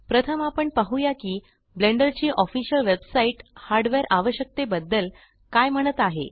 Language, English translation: Marathi, First Up, we shall look at what the official Blender website has to say about the hardware requirements